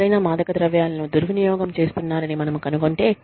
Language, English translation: Telugu, If we find out, that somebody is using drugs, abusing drugs